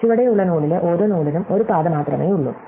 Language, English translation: Malayalam, So, there is only one path to every node at the bottom node